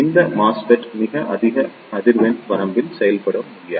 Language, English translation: Tamil, These MESFET cannot operate up to very high frequency range